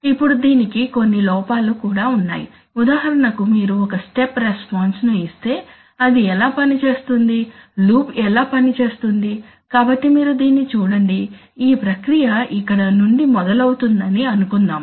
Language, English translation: Telugu, Now, only thing is that, now this has certain, there are certain drawbacks too, for example let us see that if you give a step response, if we give a step response then how does it, how does it work how does the loop work, so you see that, suppose the process starts from here, okay